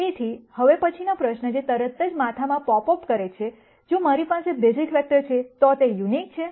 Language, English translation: Gujarati, So, the next question that immediately pops up in ones head is, if I have a basis vector, are they unique